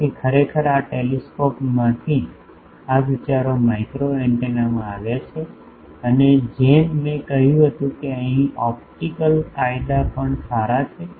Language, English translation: Gujarati, So, actually these are from telescopes these concepts came to microwave antenna and as I said that optical laws hold good here also